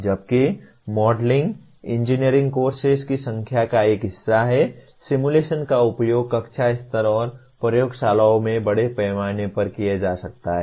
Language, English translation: Hindi, While modeling is a part of number of engineering courses, simulation can be extensively used at classroom level and in laboratories